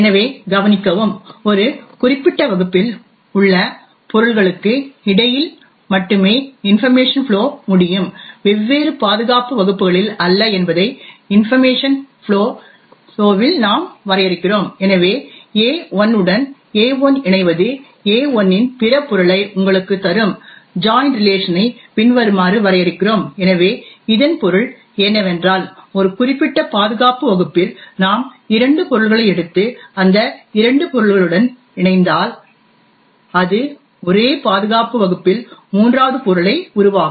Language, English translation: Tamil, So note and we are defining the information flow in such a way that information can flow only between objects in a specific class and not across different security classes, we also hence define the join relation as follows where AI joins with AI will give you other object in AI itself, so what it means is that if we take two objects in a certain security class and we join is two objects it would create a third object the same security class